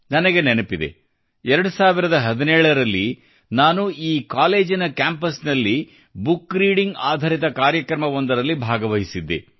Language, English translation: Kannada, I remember that in 2017, I attended a programme centred on book reading on the campus of this college